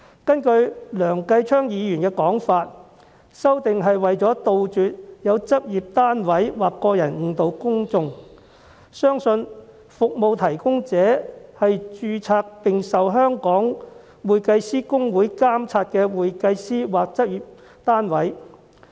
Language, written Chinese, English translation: Cantonese, 根據梁繼昌議員的說法，修訂是為了杜絕有執業單位或個人作出誤導，使公眾相信服務提供者是獲香港會計師公會註冊的會計師或執業單位。, In Mr Kenneth LEUNGs words the amendment is to eradicate practice units or individuals from misleading the public into believing that the service providers are certified public accountants or practice units registered with the Hong Kong Institute of Certified Public Accountants HKICPA